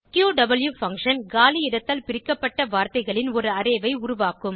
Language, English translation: Tamil, qw function creates an Array of words separated by space